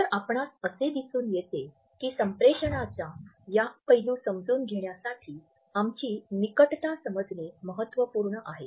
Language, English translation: Marathi, So, you would find that our understanding of proximity is significant in understanding these aspects of our communication